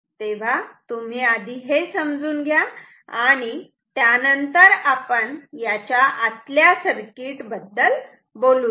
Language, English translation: Marathi, So, you first know this thing and then, we can talk about what is there inside internal circuit